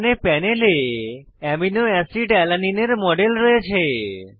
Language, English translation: Bengali, Here I have a model of aminoacid Alanine on the panel